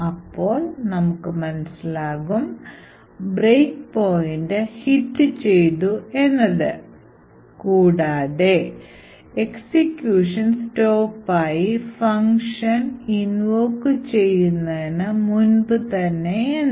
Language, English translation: Malayalam, So, we see that the break point has been hit and the execution has stopped just before the function has been invoked